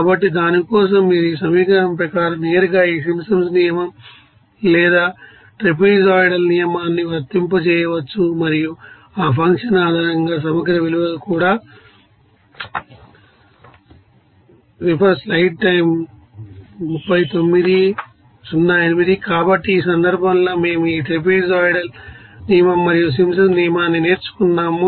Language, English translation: Telugu, So, for that you can apply this Simpsons rule or trapezoidal rule directly according to that you know that is equation and also that integral values based on that function